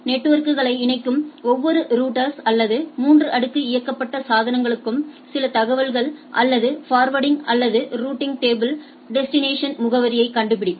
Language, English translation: Tamil, So, what we try to say that each router or layer 3 enabled devices which connect networks has some informations or forwarding or routing table which maps destination address